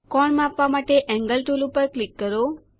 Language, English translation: Gujarati, To measure the angle, click on the Angle tool